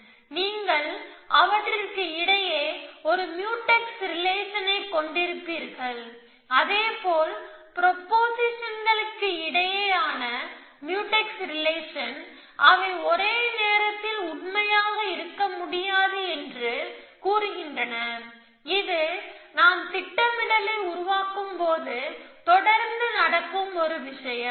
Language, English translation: Tamil, So, you would have a Mutex relation between them, likewise they are Mutex relation between proportions which say that those things cannot be true at the same time one thing which happens constantly as we construct planning